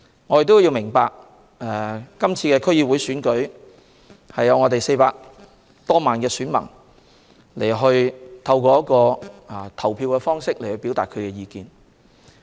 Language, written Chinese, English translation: Cantonese, 我們要明白，今次區議會選舉可讓400多萬名選民透過投票表達他們的意見。, We have to understand that this DC Election allows more than 4 million electors to express their views through voting